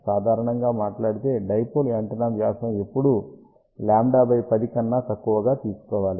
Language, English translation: Telugu, And generally speaking diameter of the dipole antenna should always be taken less than lambda by 10 ok